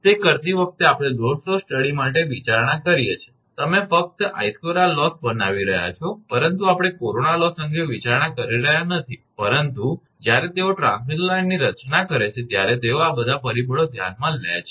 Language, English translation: Gujarati, We considered for load flow studies while doing it, you are making only I square r loss, but we are not considering corona loss, but when they design the transmission line they consider all these factors